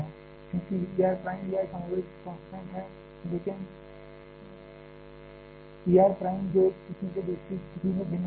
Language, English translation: Hindi, As E R prime E R is more less constant, but E R prime that may vary from one situation to another